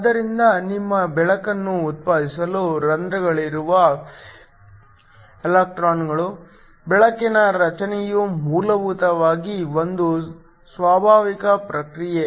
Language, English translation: Kannada, So, electrons in holes in order to generate your light, So, the formation of the light are essentially a spontaneous process